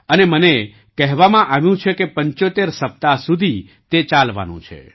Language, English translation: Gujarati, And I was told that is going to continue for 75 weeks